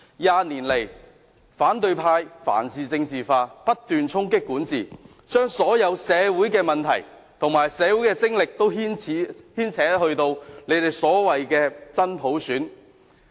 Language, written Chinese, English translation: Cantonese, 二十年來，反對派凡事政治化，不斷衝擊管治，把所有社會問題和社會精力均牽扯到他們所謂的真普選。, Over the past 20 years the oppositionists have politicized everything and kept undermining governance associating all social issues and social energies with what they call genuine universal suffrage